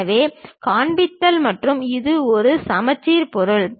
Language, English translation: Tamil, So, just showing and this is a symmetric object